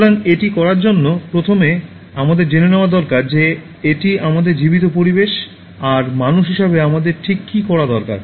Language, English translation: Bengali, So, in order to do that, first we need to know what is it that our living environment needs to be done from our side as human beings